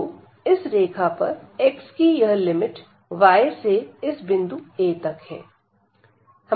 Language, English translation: Hindi, So, this limit here x goes from y to